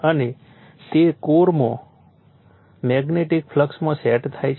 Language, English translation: Gujarati, And your which sets up in magnetic flux in the core